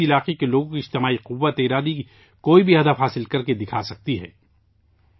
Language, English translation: Urdu, The collective will of the people of a region can achieve any goal